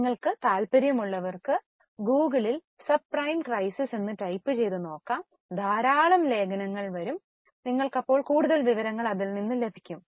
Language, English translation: Malayalam, Those who are interested you can type subprime crisis in Google, lot of articles will come and you will get more information